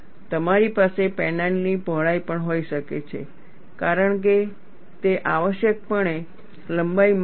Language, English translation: Gujarati, You could also have the width of the panel, because it is essentially a length measure